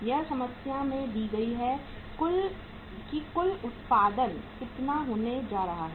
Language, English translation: Hindi, It is uh given to the in the problem is that total production is going to be how much